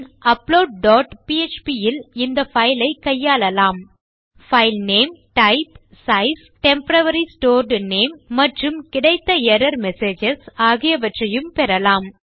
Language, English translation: Tamil, Then in upload dot php we will process this file, get some information about the file like its name, its type, size, temporary stored name and any error messages that have occurred